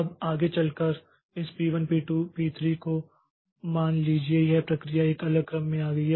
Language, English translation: Hindi, Now, going forward, suppose this p1, p2, p3 this process is they arrived in a different order